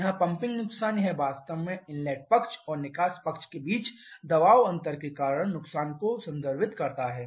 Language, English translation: Hindi, Here this pumping loss this one actually refers to the loss due to the pressure difference between the inlet side and exhaust side